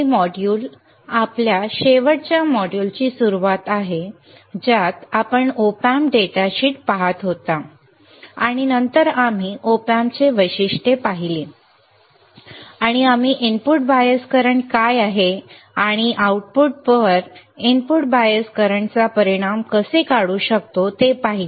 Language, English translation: Marathi, Welcome to this module this module is a continuation of our last module in which you were looking at the Op Amp data sheet and then we were looking at the characteristics of Op Amp and we have seen what is input bias current and how we can remove the effect of input bias current on the output